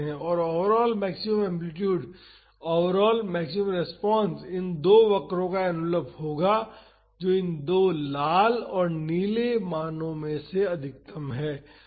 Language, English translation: Hindi, And, the overall maximum amplitude, the overall maximum response will be the envelope of these two curves that is the maximum of these two red and blue values